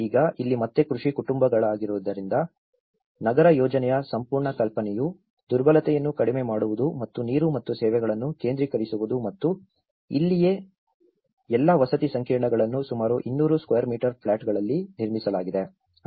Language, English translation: Kannada, Now, here being agricultural family again the whole idea of urban planning is to reduce the vulnerability and the centralizing water and services and this is where all the housing complexes are built in about 200 square meters plots